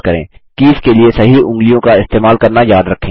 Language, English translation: Hindi, Remember to use the correct fingers for the keys